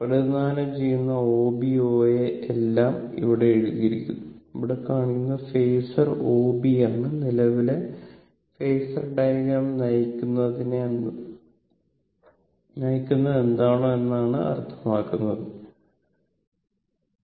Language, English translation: Malayalam, Represented by O B and O A everything is written here, here it is shown that the phasor O B is leading the current phasor diagram that what is the leading or that what does it mean